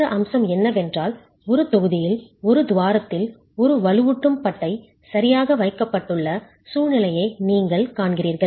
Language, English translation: Tamil, The other aspect is you are seeing a situation where in one block in one of the cavities one reinforcement bar is placed